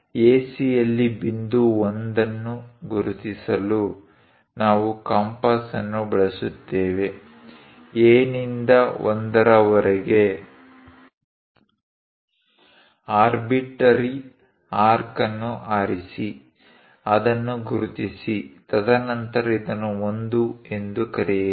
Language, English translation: Kannada, Now, use compass to mark point 1 on AC, from A to 1; pick arbitrary arc, locate it then call this one as 1